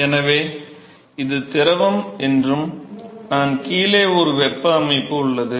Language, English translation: Tamil, So, this is the fluid and I have a heating system below